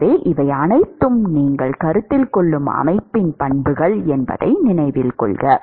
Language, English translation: Tamil, So, note that these are all the properties of the system that you are considering